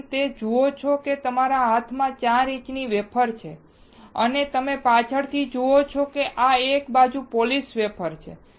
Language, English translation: Gujarati, What you see is a 4 inch wafer in my hand and you see in the backside this is single side polished wafer